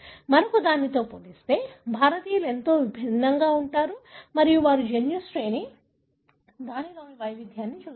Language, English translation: Telugu, How different Indians are as compared to the other and they looked at the genome sequence, variation therein